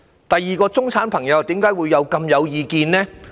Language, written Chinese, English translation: Cantonese, 第二，為甚麼中產朋友亦很有意見呢？, Secondly why are the middle - class people grumbling a lot also?